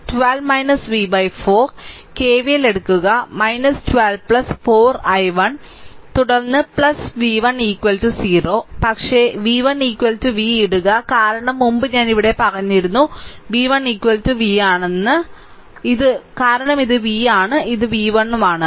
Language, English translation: Malayalam, So, you take KVL that is minus 12 plus 4 i 1, then plus v 1 is equal to 0, but put v 1 is equal to v right because earlier I told you that here v 1 is equal to v, because this is v this is v 1